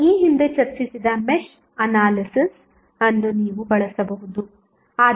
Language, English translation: Kannada, You can use Mesh Analysis which we discussed earlier